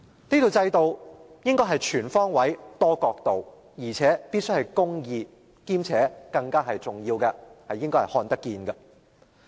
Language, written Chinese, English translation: Cantonese, 這套制度應該是全方位、多角度，而且必須是公義的，更重要的是具透明度。, This set of regime should be comprehensive multi - angle fair and just and more importantly transparent